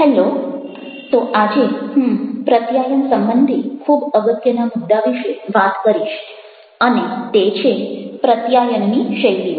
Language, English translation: Gujarati, so today i am going to talk on a very important topic related to communication and that is called communication styles